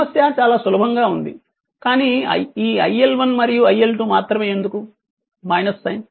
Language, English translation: Telugu, Problem is very simple, but only thing that iL1 and iL2 why minus sign